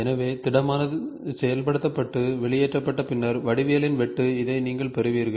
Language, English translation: Tamil, So, a solid after execution and extruded cut of the geometry you will get this